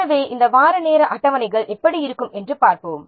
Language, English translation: Tamil, So, let's see how this weekly timesheets look like